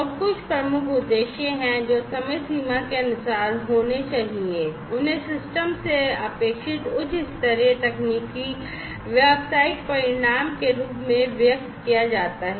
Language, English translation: Hindi, And there are certain key objectives these key objectives should be time bound and should be measurable, and they are expressed as high level technical business outcome expected from the system